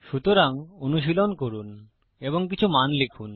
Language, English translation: Bengali, So, practice this, try and enter some values